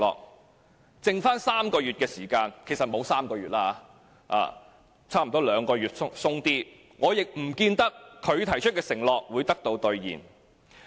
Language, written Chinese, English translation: Cantonese, 在他任期餘下3個月的時間——其實沒有3個月，差不多兩個月多一些——我亦不見得他提出的承諾會得到兌現。, In the remaining three months of his tenure―indeed less than three months; a tad more than two months―I do not see how his pledges will be delivered